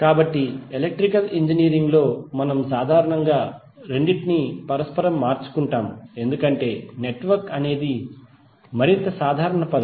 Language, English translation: Telugu, So in Electrical Engineering we generally used both of them interchangeably, because network is more generic terms